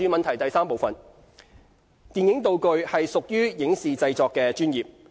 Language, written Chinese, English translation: Cantonese, 三電影道具屬於影視製作的專業。, 3 Making props is a professional segment of the film and television sectors